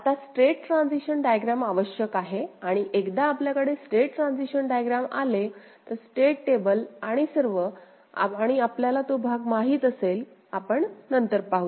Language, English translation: Marathi, Now we need the state transition diagram, and once we have the state transition diagram state table and all, and those journey we shall we know that part, we shall see later